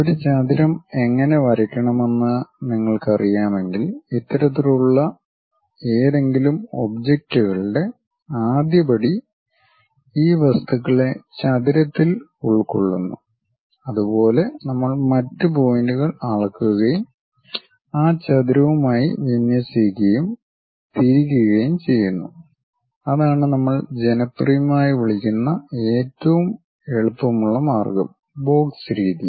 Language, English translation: Malayalam, First step for any of these kind of objects enclose these objects in rectangle if you are knowing how to draw a rectangle, similarly we measure the other points and align with that rectangle and rotate it that is the easiest way which we popularly call as box method